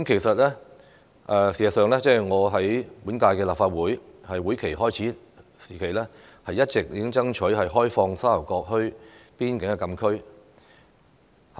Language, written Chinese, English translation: Cantonese, 事實上，我在本屆立法會會期開始時，已一直爭取開放沙頭角墟邊境禁區。, In fact since the beginning of the current legislative session I have been striving for the opening up of the frontier closed area of Sha Tau Kok Town